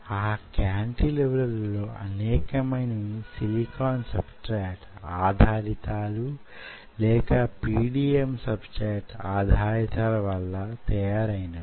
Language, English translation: Telugu, and most of these kind of cantilevers are made on silicon substrate or they are made on pdml substrate